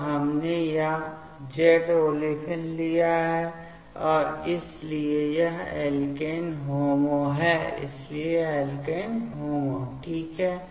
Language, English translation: Hindi, So, we have taken this Z olefin and so this is the alkene HOMO so this is alkene HOMO ok